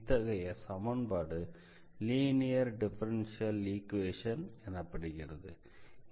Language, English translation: Tamil, So, that is a particular case of more general linear differential equations